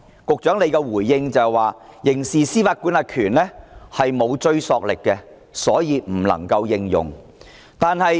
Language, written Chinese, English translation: Cantonese, 局長的回應是，修訂《刑事司法管轄權條例》沒有追溯力，所以不能夠採用。, The Secretary responds that as amending the Criminal Jurisdiction Ordinance will not have retrospective effect the suggestion cannot be adopted